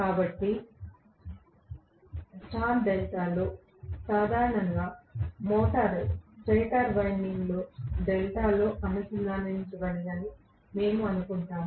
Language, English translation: Telugu, So, in star delta starting, normally we assume that the motor stator winding is connected in delta, so this is the motor winding okay